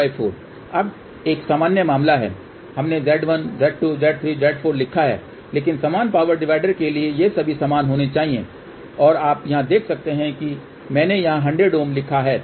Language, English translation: Hindi, Now, this is a general case we have written Z1 Z 2 Z 3 Z 4, but for equal power divider these should all be equal and you can see here I have written here as a 100 ohm why 100 ohm